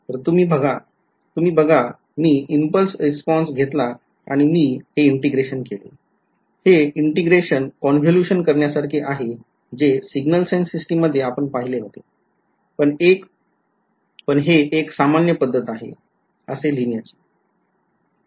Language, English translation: Marathi, So, you notice I took the impulse response and I did this integration right this integration is actually what you have seen in signals and systems to be convolution ok, but this is the more general way of writing it